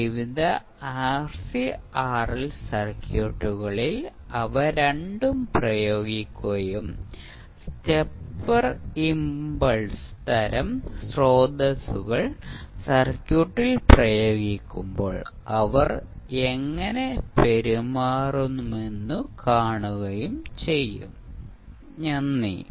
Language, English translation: Malayalam, And then we will apply both of them into the various RC and RL circuits and see how they will behave when we will apply either stepper impulse type of sources into the circuit, Thank You